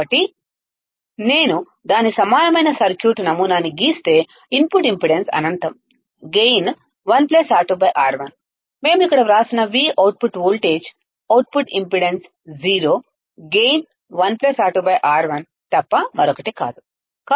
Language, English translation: Telugu, So, its equivalent circuit model if I draw, the input impedance is infinite right, the gain is 1 plus R2 by R1 into v output voltage we have written here, output impedance is 0, gain is nothing but 1 plus R2 by R1, gain is nothing but 1 plus R2 by R1